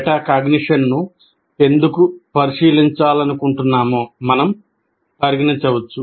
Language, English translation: Telugu, And why we can consider why we want to examine metacognition